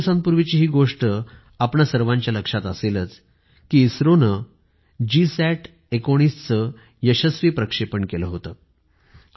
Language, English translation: Marathi, We are all aware that a few days ago, ISRO has successfully launched the GSAT19